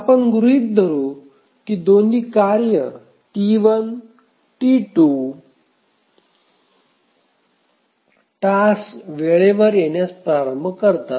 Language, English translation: Marathi, Let's assume that both the tasks, T1, T2, the task instances start arriving at time zero